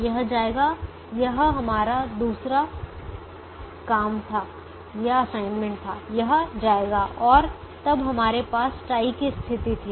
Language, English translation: Hindi, this was our second assignment, this would go, and then we had the tie situation